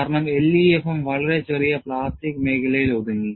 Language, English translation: Malayalam, Because, LEFM was confined to very small plastic zone